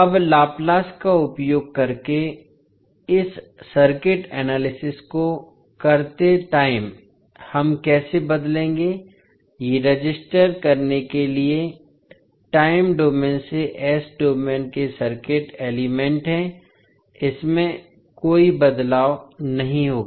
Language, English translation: Hindi, Now, while doing this circuit analysis using laplace transform how we will transform, these are circuit elements from time domain to s domain for register it, there will not be any change